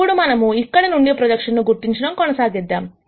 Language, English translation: Telugu, Now, let us proceed to identify the projection from here